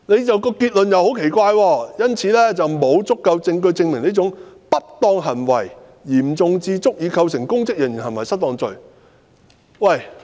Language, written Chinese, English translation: Cantonese, 這段結論也很奇怪，"故此，沒有足夠證據證明這種不當行為嚴重至足以構成公職人員行為失當罪"。, The concluding sentence of this paragraph also sounds strange There is insufficient evidence to prove that such misconduct was serious enough to establish the offence of MIPO